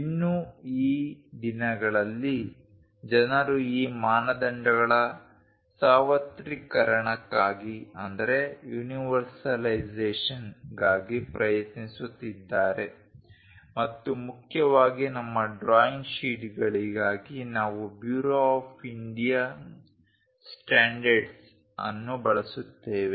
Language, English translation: Kannada, Each of these organizations follows different kind of standard, but these days people are trying to locate for universalization of these standards and mainly for our drawing sheets we go with Bureau of Indian Standards that is this